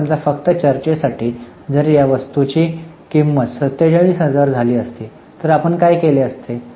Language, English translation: Marathi, Now suppose just for discussion if the cost of this item would have been 40,000, what we would have done